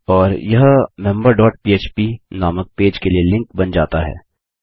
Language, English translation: Hindi, And this is going to be a link to a page called member dot php